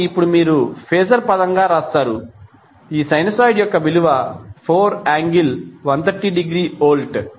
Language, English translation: Telugu, So now what you will write in phaser terms, the phaser terms, the value of this sinusoid is 4 angle 130 degree volt